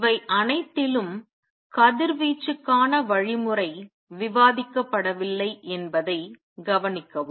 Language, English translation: Tamil, Notice in all this the mechanism for radiation has not been discussed